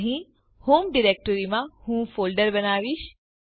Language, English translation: Gujarati, Here, in the home directory i will create a folder